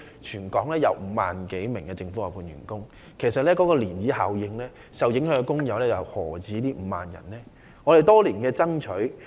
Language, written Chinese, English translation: Cantonese, 全港有5萬多名政府外判員工，在漣漪效應下，受影響的工友又豈止5萬人呢？, In Hong Kong there are some 50 000 outsourced workers in the Government . Owing to ripple effects the number of affected workers will not be limited to 50 000